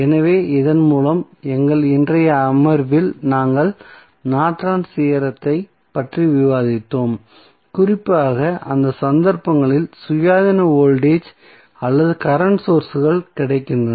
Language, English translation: Tamil, So, in the session we discussed about the Norton's theorem, a particularly in those cases where the independent voltage or current sources available